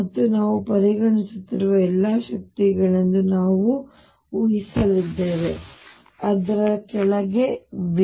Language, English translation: Kannada, And we are going to assume that all energies we are considering are below V